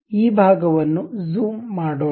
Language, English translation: Kannada, Let us zoom this portion